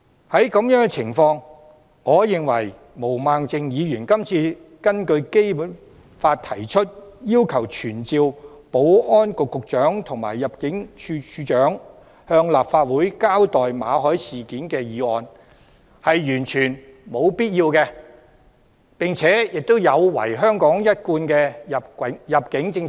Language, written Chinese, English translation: Cantonese, 在這種情況下，我認為毛孟靜議員今次根據《基本法》提出議案，要求傳召保安局局長和入境處處長向立法會交代馬凱事件，是完全沒有必要的，而且有違香港一貫的入境政策。, Under such circumstances I think that it is totally unnecessary for Ms Claudia MO to move a motion under the Basic Law to summon the Secretary for Security and the Director of Immigration to attend before the Legislative Council to give an account of the MALLET incident . This also runs counter to our usual immigration policies